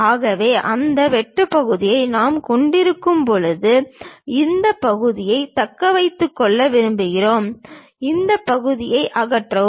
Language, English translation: Tamil, So, when we have that cut section; we would like to retain this part, remove this part